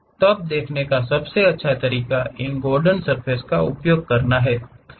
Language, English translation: Hindi, Then the best way of looking at that is using these Gordon surfaces